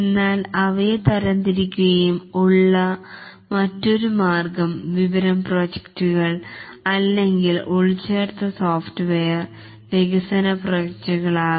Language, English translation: Malayalam, But another way of classifying them may be information system projects or embedded software development projects